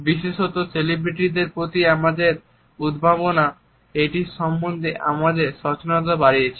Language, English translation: Bengali, Particularly our obsession with celebrity has also enhanced our awareness of it